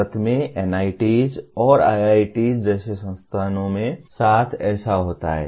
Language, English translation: Hindi, Such a thing happens with institutes like NITs and IITs in India